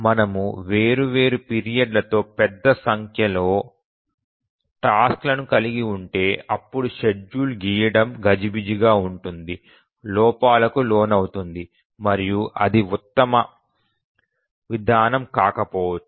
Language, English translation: Telugu, But if we have a large number of tasks with different periods, drawing the schedule is cumbersome, prone to errors and this may not be the best approach